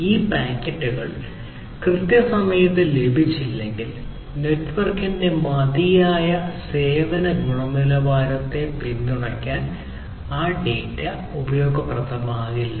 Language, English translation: Malayalam, And, these packets if they do not receive if they are not received on time then that data is not going to be useful for supporting the adequate quality of service of the network